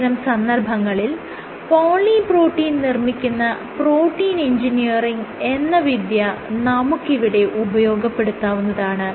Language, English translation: Malayalam, So, what is done in these cases is actually using protein engineering, where you make you know poly protein